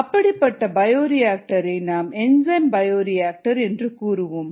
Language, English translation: Tamil, such bioreactors are called enzyme bioreactors